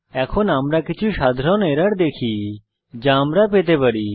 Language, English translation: Bengali, Now we will see another common error which we can come across